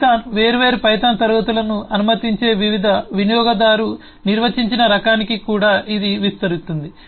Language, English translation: Telugu, this will also extend to the different user defined types that python allows that different classes